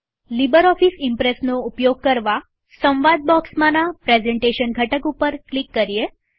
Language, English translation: Gujarati, In order to access LibreOffice Impress, click on the Presentation component